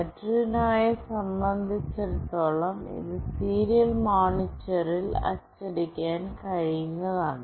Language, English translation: Malayalam, For Arduino, it is straightforward it can be printed in the serial monitor